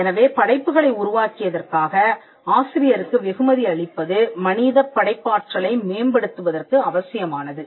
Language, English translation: Tamil, So, rewarding the author for the creating creation of the work was essential for promoting human creativity